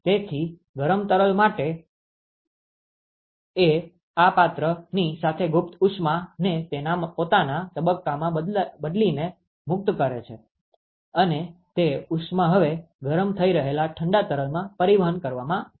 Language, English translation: Gujarati, So, the hot fluid it liberates the latent heat with this vessel by changing its own phase, and that heat is now transported to the cold fluid which is being heated up